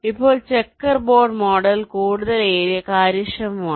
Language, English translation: Malayalam, ok now, checker board mod model is more area efficient